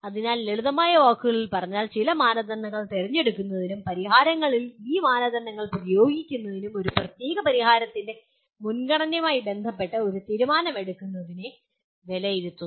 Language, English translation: Malayalam, So put in simple words, evaluate is concerned with selecting certain criteria and applying these criteria to the solutions and coming to or judging or making a decision with regard to the preference of a particular solution